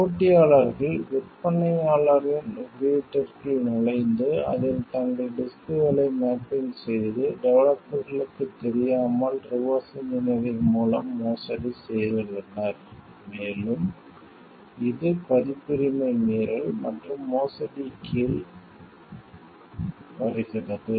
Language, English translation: Tamil, The competitors have also done a forgery by reverse engineering in it entering into the vendor s code and, mapping their disks to it and without the knowledge of the developers and, that is where it is coming under like violation of copyrights and forgery